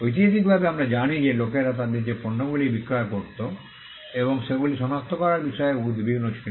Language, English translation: Bengali, Historically we know that people used to be concerned about identifying the products and the services they were selling